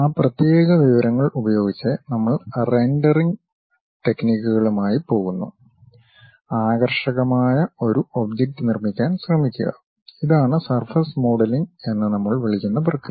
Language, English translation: Malayalam, Using those discrete information, we go with rendering techniques, try to construct a nice appealed object; that kind of process what we call surface modelling